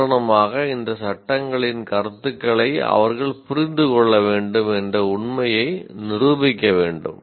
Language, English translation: Tamil, For example, the fact that they understand the concepts of these laws should be demonstratable